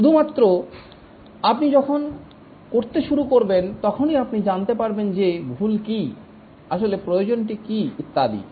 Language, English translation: Bengali, Only when you start doing, then you can know that what is wrong, what is really required and so on